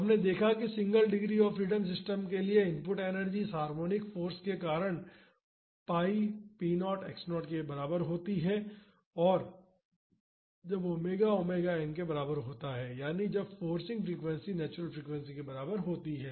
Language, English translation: Hindi, So, we have seen that the input energy to the single degree of freedom system, due to this harmonic force is equal to pi p naught x naught, when omega is equal to omega n that is when the forcing frequency is equal to natural frequency